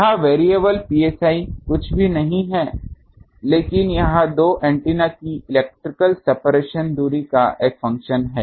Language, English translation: Hindi, This variable psi is nothing, but it is a function of the electrical separation distance of two antennas